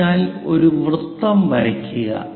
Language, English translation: Malayalam, So, draw a circle